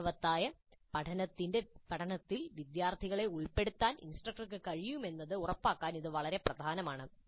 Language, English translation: Malayalam, This is very important to ensure that the instructor is able to engage the students in meaningful learning